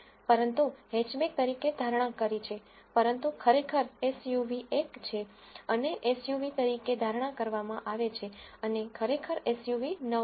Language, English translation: Gujarati, But, predicted as hatchback, but truly SUV is one and predicted as SUV and truly SUV are 9